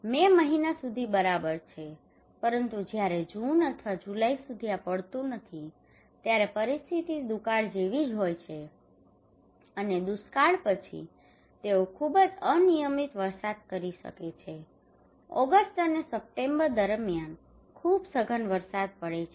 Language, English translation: Gujarati, Until May is still fine but when this move from to June or July no rain then is almost like a drought like a situation and just after the drought they are very erratic rainfall maybe a very intensive rainfall during August and September